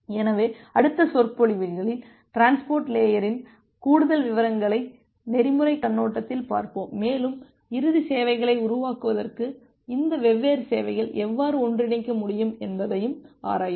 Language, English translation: Tamil, So, in the next set of lectures, we will look into more details of the transport layer from the protocol perspective, and also we look into that how this different services can be combined together to build up the final services